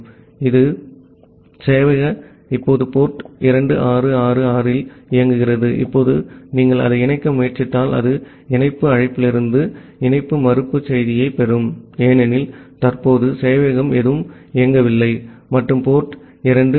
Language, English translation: Tamil, So, the server is now running at port 2666, now if you try to connect it, it will get a connection refuse message from the connect call, because none of the server is currently running and the port 2555